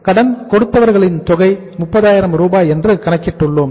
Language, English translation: Tamil, We have calculated the amount of sundry creditors as 30,000